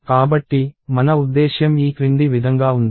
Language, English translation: Telugu, So, what I mean by that is as follows